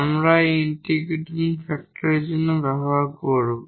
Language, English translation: Bengali, So, that will be the integrating factor